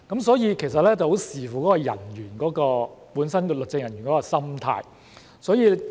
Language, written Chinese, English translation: Cantonese, 所以，其實很視乎那名律政人員本身的心態。, Therefore it really depends a lot on the mindset of each individual legal officer